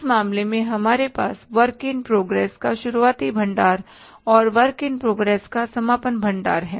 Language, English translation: Hindi, In this case, we have the opening stock of the work in progress and the closing stock of the work in progress